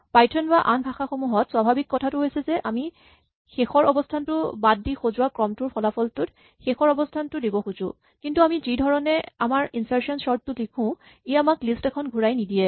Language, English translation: Assamese, The natural thing in python or in any other thing would be to say that we want to insert the last position into the result of sorting the sequence up to, but excluding the last position, but the way we have written our insertion sort; this function does not return a list